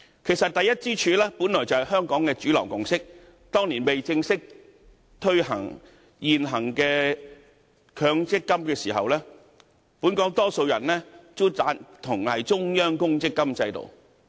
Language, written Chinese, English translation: Cantonese, 其實，第一支柱本來便是香港的主流共識，當年未正式推行強制性公積金計劃前，本港大多數人也贊同中央公積金制度。, In fact the first pillar is the mainstream consensus in Hong Kong . Before the implementation of the Mandatory Provide Fund MPF System most people supported a central provident fund system